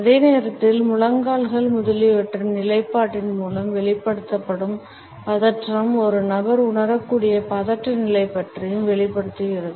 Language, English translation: Tamil, At the same time, the tension which is exhibited through the positioning of the knees etcetera also discloses a lot about the anxiety level a person might be feeling